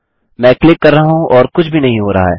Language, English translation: Hindi, I have been clicking and nothing is being done